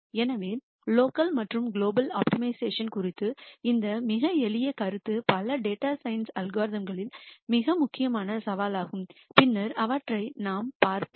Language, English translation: Tamil, So, this very simple concept of local and global optimization is a very important challenge in many data science algorithms and we will see those later